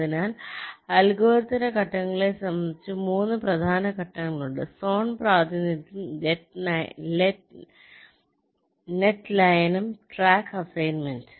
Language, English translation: Malayalam, ok, so, regarding the steps of the algorithm, there are three main steps: zone representation, net merging and track assignment